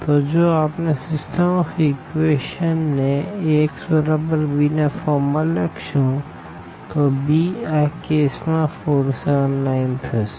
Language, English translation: Gujarati, So, if we write down the system of equations into Ax is equal to b form